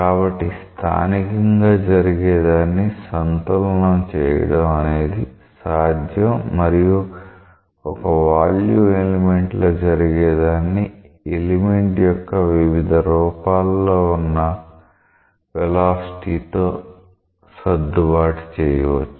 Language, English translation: Telugu, So, it is possible that to make a balance of what is happening locally and what is what is happening over the volume element, you might to adjust these things with velocity across the different phases of the element